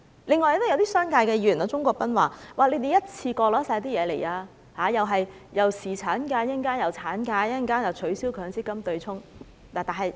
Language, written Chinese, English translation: Cantonese, 另外，一些商界議員例如鍾國斌議員，說我們一次過提出所有要求，先有侍產假和產假，稍後還要取消強制性公積金對沖。, Furthermore some Members from the business sector for example Mr CHUNG Kwok - pan said that we put in all our demands in one go . First comes paternity and maternity leave and then abolition of the offsetting arrangement under the Mandatory Provident Fund MPF scheme follows